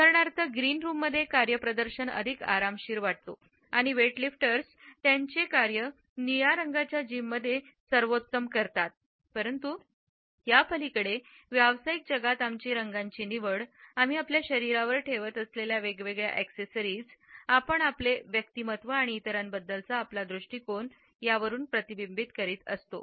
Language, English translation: Marathi, For example, performance feel more relaxed in a green room and weightlifters do their best in blue colored gyms, but beyond this in the professional world it is our choice of colors through different accessories which we carry on our body that we reflect our personality and our attitudes to other